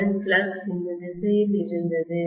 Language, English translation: Tamil, The original flux was in this direction